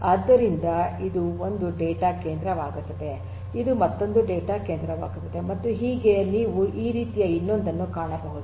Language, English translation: Kannada, So, this becomes one data centre, this becomes another data centre and so on so, you can have another like this